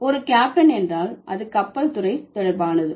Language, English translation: Tamil, So, a captain can only belong to a ship